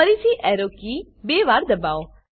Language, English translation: Gujarati, Again Press the up arrow key twice